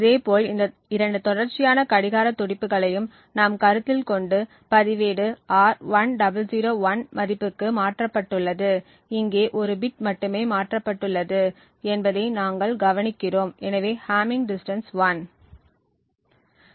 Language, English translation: Tamil, Similarly, if we consider these two consecutive clock pulses and let us say that the register R has changed to a value of 1001, we note that here there is only one bit that has been changed and therefore the hamming distance is 1